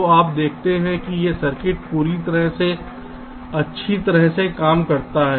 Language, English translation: Hindi, so you see, this circuit works perfectly well